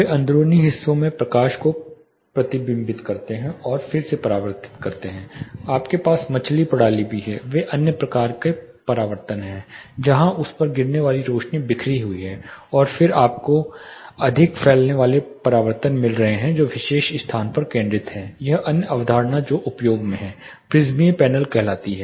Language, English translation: Hindi, (Refer Slide Time: 09:23) The reflect and re reflect light into the interiors you also have fish system, for example, they are another type of reflections where the light falling on it gets scattered and then you are getting more diffuse reflections focused into the particular space another concept which is in use is called prismatic panel